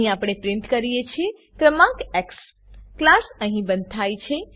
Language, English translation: Gujarati, Here we print the number x The class is closed here